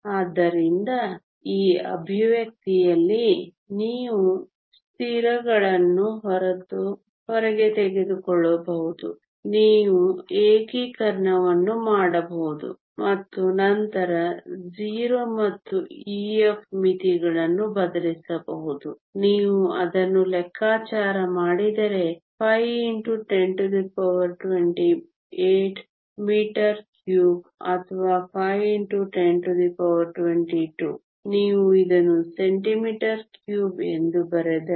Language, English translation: Kannada, So, in this expression you can take the constants outside you can do the integration and then substitute the limits 0 and e f we do that which if you calculate is 5 times 10 to the 28 states per unit volume per meter cube or 5 times 10 to the 22, if you write it centimetre cube